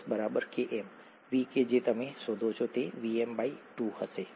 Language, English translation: Gujarati, At S equals Km, the V that you find, would be Vmax by 2, okay